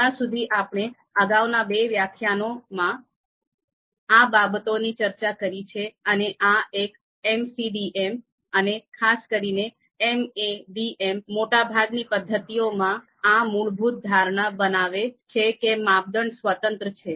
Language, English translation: Gujarati, So till now whatever we have discussed in previous two lectures and even in this lecture, most of the methods you know in MCDM and even specifically in MADM, they make this basic assumption that criteria are independent